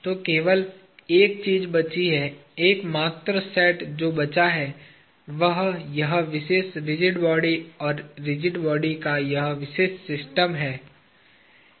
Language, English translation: Hindi, So, the only thing that is left, the only set that is left, is this particular rigid body and this particular system of rigid body